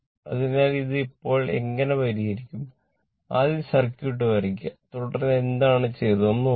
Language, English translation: Malayalam, So, when you will solve this one first you draw the circuit then you look ah what has been done